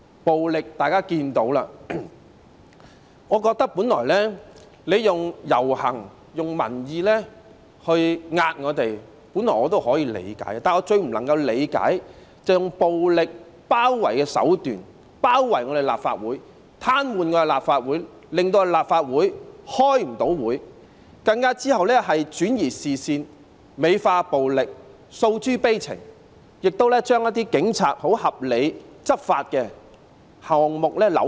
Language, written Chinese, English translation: Cantonese, 暴力方面，大家也可以看得到，我認為用遊行、民意向我們施壓，本來也可以理解，但我最不能理解的是用暴力包圍的手段，包圍立法會、癱瘓立法會，令立法會無法開會，之後更轉移視線，美化暴力，訴諸悲情，更將警察合理執法的行動扭曲。, I think it is originally understandable to use processions and public opinions to exert pressure on us . But I consider it most incomprehensible that they should resort to violent besiege such as besieging the Legislative Council Complex to paralyse it and make it impossible for the Legislative Council to hold meetings . Then they even shifted the focus embellished the use of violence and created a mood of melancholy